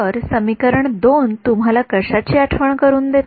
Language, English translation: Marathi, So, what does equation 2 remind you of